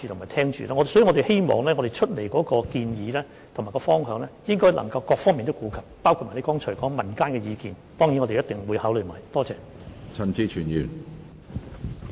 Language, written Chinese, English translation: Cantonese, 因此，我們希望我們提出的建議和方向能夠顧及各方面，包括議員剛才提及的民間意見，這些我們必定會一併考慮。, In view of this we hope that the proposals and directions put forward by us can take into account various aspects including the views of the public mentioned by the Member just now . We will surely consider all of them at the same time